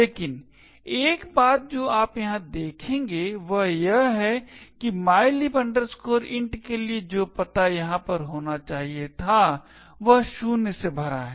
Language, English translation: Hindi, But, one thing you will notice over here is that the address for mylib int which was supposed to be over here is filled with zeros